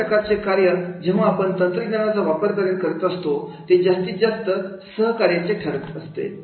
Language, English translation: Marathi, So these type of the functions when we are using the technology, the collaboration become more and more possible